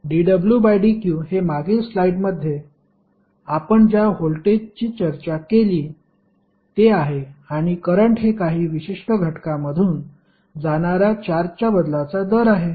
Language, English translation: Marathi, dw by dq is nothing but the voltage which we discussed in the previous class previous slides and I is nothing but rate of change of charge passing through a particular element